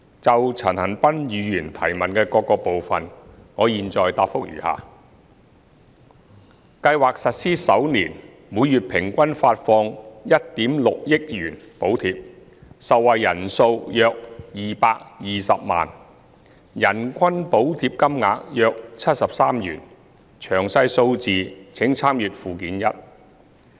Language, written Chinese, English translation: Cantonese, 就陳恒鑌議員質詢的各部分，我現答覆如下：計劃實施首年，每月平均發放1億 6,000 萬元補貼，受惠人數約220萬，人均補貼金額約73元，詳細數字請參閱附件一。, My reply to the various parts of Mr CHAN Han - pans question is as follows In the first year of the implementation of the Scheme the monthly average subsidy amount was 160 million involving an average of 2.2 million beneficiaries per month . The average amount of monthly subsidy per beneficiary was about 73 . A detailed breakdown is set out in Annex 1